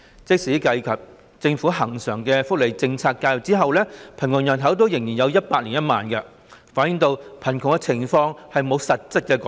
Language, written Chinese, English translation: Cantonese, 即使計及政府恆常的福利政策介入後，貧窮人口仍有 1,010 000人，反映貧窮情況並沒有實質改善。, Even after taking into account recurrent welfare policy intervention measures the poor population still stands at 1 010 000 people reflecting the fact that no material improvement has been made to the situation of poverty